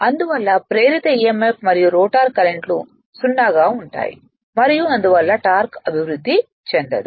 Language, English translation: Telugu, And and therefore, the induced emf and rotor currents will be 0 and hence no torque is developed right